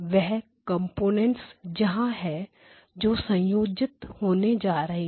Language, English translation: Hindi, Now where are the; what are the components that are getting combined